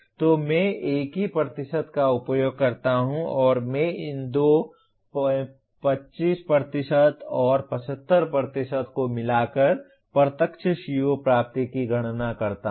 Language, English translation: Hindi, So I use the same percentage and I combine these two 25% and 75% to compute the direct CO attainment